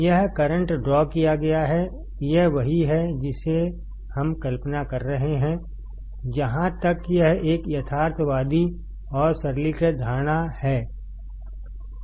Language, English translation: Hindi, it’s tThe current drawn; this is what we are assuming, as far it is a realistic and a simplifying assumption